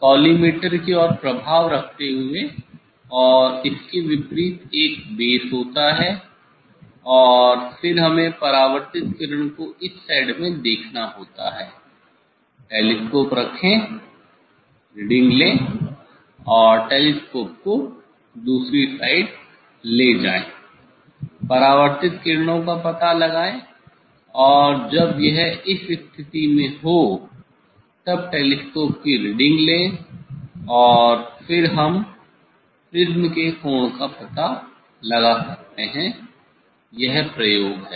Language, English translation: Hindi, We have to put the prism on the prism table like this ok, keeping affects towards the collimators and opposite to that one is base And then we have to see the reflected ray in the side, put the telescope, take the reading and take the telescope in other side, find out the reflected rays and take the reading of the telescope when it is at this position And, then we can find out the angle of the prism; this is the experiment ok